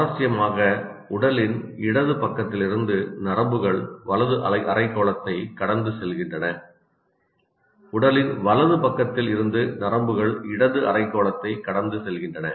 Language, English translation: Tamil, Interestingly, nerves from the left side of the body cross over to the right hemisphere and those from the right side of the body cross over to the left hemisphere